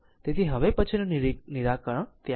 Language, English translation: Gujarati, So, next solution is there later right